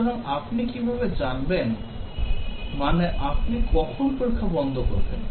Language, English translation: Bengali, So, how do you know, I mean when do you stop testing